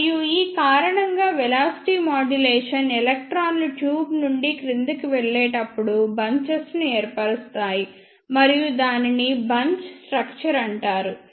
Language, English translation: Telugu, And because of this velocity modulation electrons form bunches as they drift down the tube and that is called as bunch formation